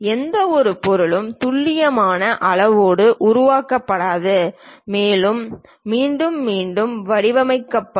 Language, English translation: Tamil, No object will be made with precise size and also shape in a repeated way